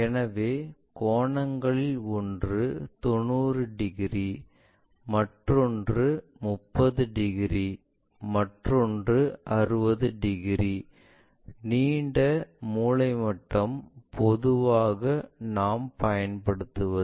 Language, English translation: Tamil, So, one of the angle is 90 degrees, other one is 30 degrees, other one is 60 degrees, the long set square what usually we go with